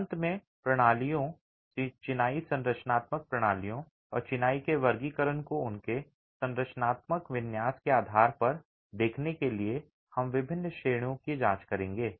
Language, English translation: Hindi, Finally to look at systems, masonry structural systems and the classification of masonry based on their structural configuration, we will examine different categories